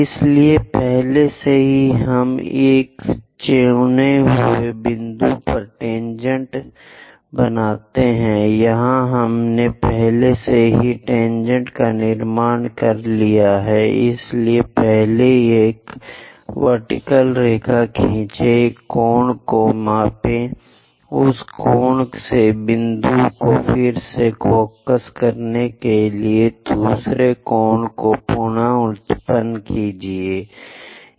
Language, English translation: Hindi, So, already we have tangent at a given chosen point, here we already constructed tangents; so first draw a vertical line, measure this angle, from that angle again reproduce another angle to focus point